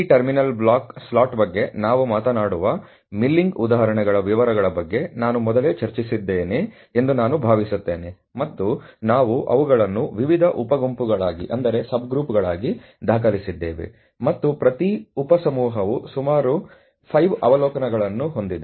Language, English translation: Kannada, So, I think I had discussed this earlier in quite bit of details the milling examples where we are talking about this terminal block slot, and we have recorded them as sub group various sub groups, and each sub group has about 5 observations as you can see A to E